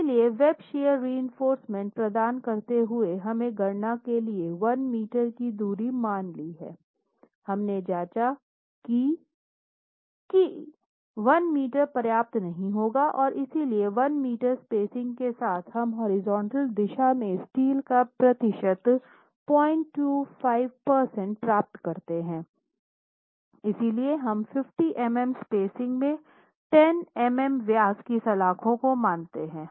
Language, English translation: Hindi, So, providing web shear reinforcement, we assumed, we made the calculation for an assumed spacing of 1 meter, we checked that the 1 meter would not be adequate and therefore with the 1 meter spacing we get in the horizontal direction we get the percentage of steel as 0